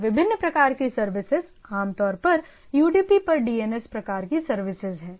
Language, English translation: Hindi, And different types of services are like typically DNS types of services are over UDP